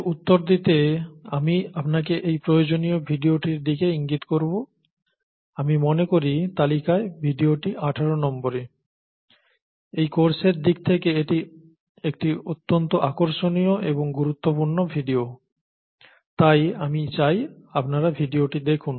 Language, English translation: Bengali, To answer this, I would point you out to required video here, I think the video in the list is number 18, it’s a very interesting video and important video in terms of the principles for the course, so I would require you to see that video